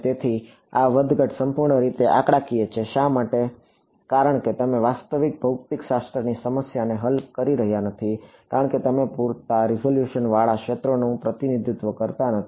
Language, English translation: Gujarati, So, this fluctuation is purely numerical; why because you are not actually solving a real physics problem because you are not representing the fields with sufficient resolution